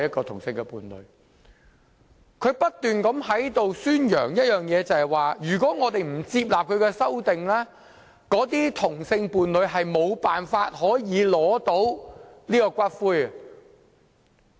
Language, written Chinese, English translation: Cantonese, 他不斷在此宣揚的一點是如果我們不接納他的修正案，該等同性伴侶將無法領回骨灰。, He has been repeatedly claiming that if we do not accept his amendment those same - sex partners will not be able to claim ashes